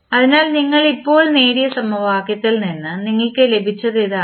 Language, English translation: Malayalam, So, this is what you got from the equation which we just derived